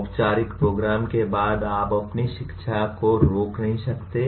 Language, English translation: Hindi, You cannot stop your learning after the a formal program